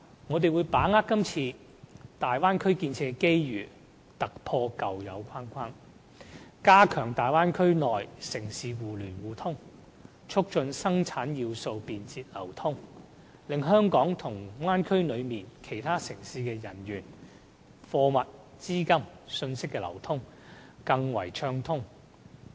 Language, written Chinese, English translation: Cantonese, 我們會把握今次大灣區建設的機遇，突破舊有框框，加強大灣區內城市互聯互通，促進生產要素便捷流通，使香港與大灣區內其他城市的人員、貨物、資金、信息的流通更為暢通。, We will shatter the constraints of old so as to boost inter - city connectivity within the Bay Area and promote the quick and smooth flows of production factors between Hong Kong and other cities in the Bay Area